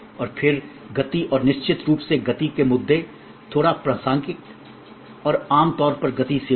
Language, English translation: Hindi, And then speed and the speed issues of course, the little contextual and we normally one speed is service